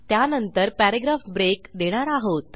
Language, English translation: Marathi, We will put a paragraph break after that